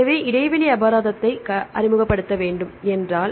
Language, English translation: Tamil, So, if we need to introduce gap penalty